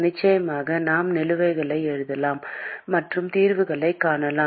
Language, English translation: Tamil, Of course, we can write the balances and we can find the solutions